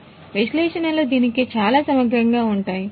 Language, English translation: Telugu, So, analytics is very very much integral to it